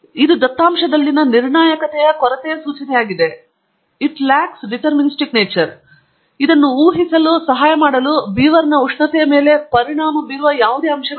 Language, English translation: Kannada, That also is an indication of lack of determinism in the data, and also, it do not have any other factors that affect the beaverÕs temperature to help me predict this